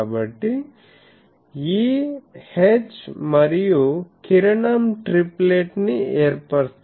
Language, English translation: Telugu, So, E H and the ray they form a triplet etc